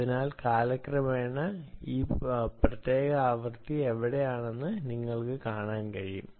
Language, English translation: Malayalam, you can see that, ah, how this particular frequency where is over time